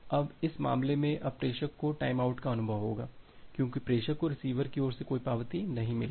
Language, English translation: Hindi, Now in this case, now the sender will experience a timeout because the sender has not received any acknowledgement from the receiver side